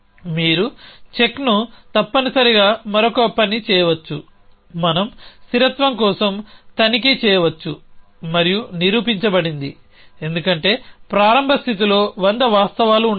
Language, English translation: Telugu, So, you can do the check essentially another thing we can do a check for consistency and proven, because start state may have 100 of facts